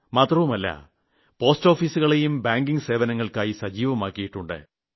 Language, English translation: Malayalam, Post offices have also been geared up for banking services